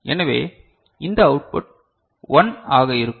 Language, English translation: Tamil, So, this output will be 1